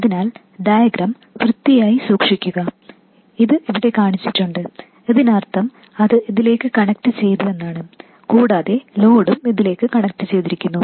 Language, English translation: Malayalam, So, just to keep the diagram neat, this is shown, this means that this is connected to this and the load is connected to this and so on